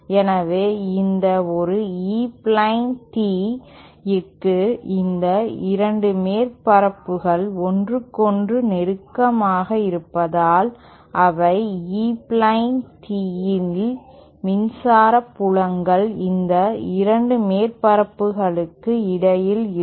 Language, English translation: Tamil, So, for an E plane tee, since these 2 surfaces are closest to each other, they E plane tee, the electric fields will be between these 2 surfaces